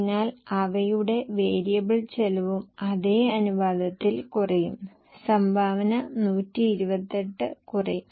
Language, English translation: Malayalam, So their variable cost will also reduce in the same proportion